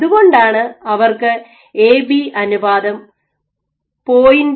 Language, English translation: Malayalam, So, that is why and they had A to B ratio of 0